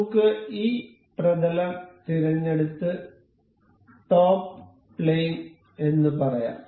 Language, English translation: Malayalam, Let us just select this plane and say the top plane